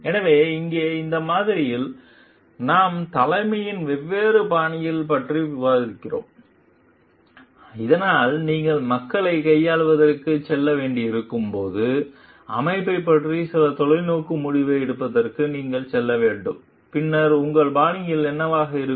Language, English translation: Tamil, So, here in this model, we are discussing the different styles of leadership, so that when you have to go for dealing with the people, you have to go for taking some visionary decision about the organization, then what could be your styles